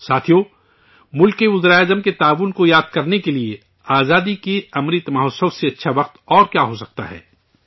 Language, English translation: Urdu, Friends, what can be a better time to remember the contribution of the Prime Ministers of the country than the Azadi ka Amrit Mahotsav